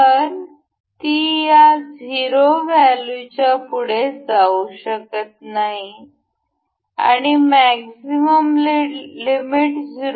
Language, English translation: Marathi, So, it cannot move beyond this 0 value and maximum limit was 0